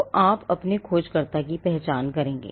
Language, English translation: Hindi, So, you would identify your searcher